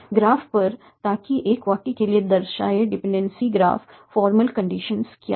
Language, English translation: Hindi, So on the graphs so that the denoted dependency graph for a sentence